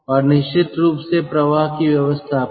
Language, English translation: Hindi, and then we have the flow arrangement